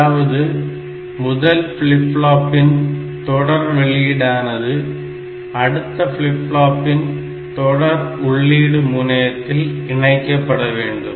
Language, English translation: Tamil, So, this is the serial in and this serial output of this flip flop, should be connected to the serial in of the next flip flop